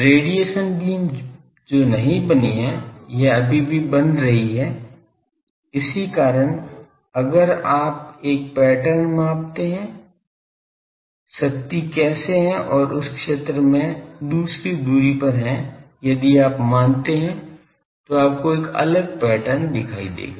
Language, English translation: Hindi, The radiation beam that has not been formed, it is still forming that is why if you measure there a pattern that how the power is there and in that zone in another distance if you measure you will see a different pattern